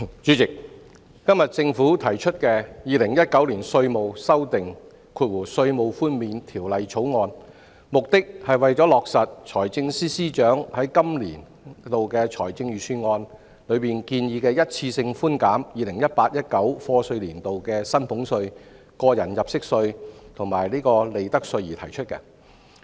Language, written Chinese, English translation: Cantonese, 主席，今天政府提出的《2019年稅務條例草案》，旨在落實財政司司長在本年度財政預算案中提出一次性寬減 2018-2019 課稅年度的薪俸稅、個人入息課稅及利得稅的建議。, President today the Inland Revenue Amendment Bill 2019 the Bill introduced by the Government seeks to implement the one - off reductions of salaries tax tax under personal assessment and profits tax for year of assessment 2018 - 2019 which were proposed by the Financial Secretary in the Budget for the current financial year